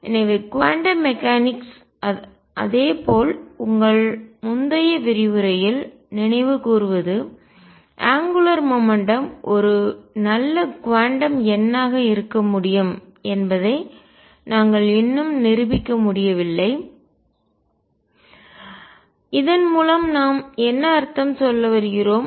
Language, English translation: Tamil, So, in quantum mechanics correspondingly recall from your previous lecture angular momentum could we not yet proved could be a good quantum number and what do we mean by that